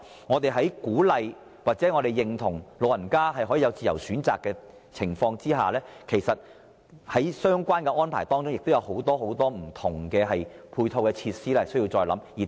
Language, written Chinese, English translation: Cantonese, 我們鼓勵或認同讓長者作出自由選擇，但在相關安排上，還有很多不同的配套措施需要再作考慮。, We encourage or agree with the giving of a free choice to elderly persons but with regard to the relevant arrangements there are still many different supporting measures which we have to further consider